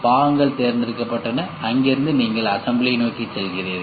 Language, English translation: Tamil, Parts are chosen and from there you go towards the assemblies